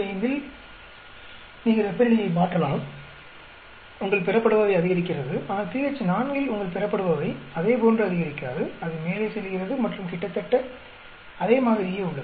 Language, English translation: Tamil, 5, you are changing temperature, your product yield goes up; but, at pH is equal to 4 your product yield does not go up in the same way; it goes up and all most remains same